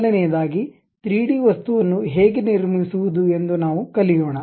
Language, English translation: Kannada, First of all we will learn how to construct a 3D object ok